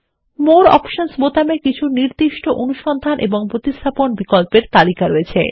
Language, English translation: Bengali, Click on it The More Options button contains a list of specific Find and Replace options